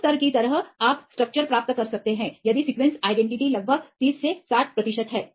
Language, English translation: Hindi, Like that level you can get the structures if the sequence identity is about 30 to 60 percent